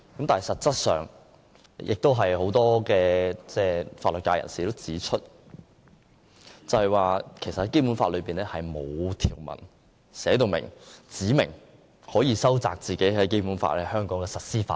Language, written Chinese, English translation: Cantonese, 但是實質上，有很多法律界人士曾經指出，《基本法》內並無條文指明可收窄《基本法》在香港的實施範圍。, But many people from the legal sector have pointed out that the entire Basic Law actually does not provide that the territory of HKSAR governed by the Basic Law can be reduced